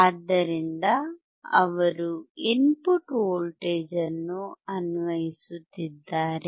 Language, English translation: Kannada, So, he is applying the input voltage